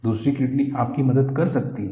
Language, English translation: Hindi, Another kidney can help you